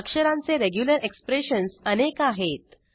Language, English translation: Marathi, There are a number of regular expression characters